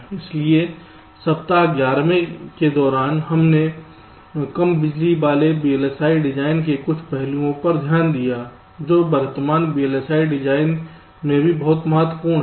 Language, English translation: Hindi, so during week eleven we looked at some of the aspects of low power vlsi design, which is also very important in present day vlsi design